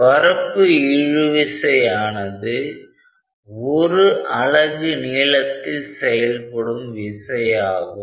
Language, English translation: Tamil, So, surface tension therefore, is a force per unit length